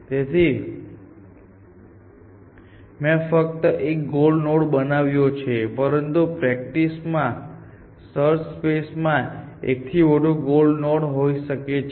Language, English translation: Gujarati, So, I have drawn only one goal node, but in practice, search problems may have more than one goal node essentially